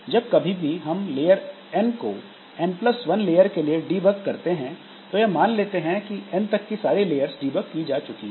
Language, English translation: Hindi, So, whenever we are working with, whenever we have debugged layer n, for layer n plus one, we will assume that layer n up to layer n, everything is okay